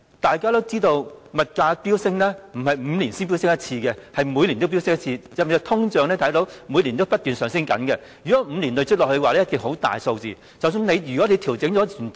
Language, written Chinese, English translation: Cantonese, 大家也知道，物價飆升並非5年才飆升一次，而是每年也飆升，大家也看到每年不斷通脹 ，5 年累積下來，數字一定會很大，即使已作出調整，數字仍是滯後。, As we all know prices do not soar every five years but every year . We all see the annual inflation . The figure accumulated over five years must be significant and it still suffers a lag even after adjustment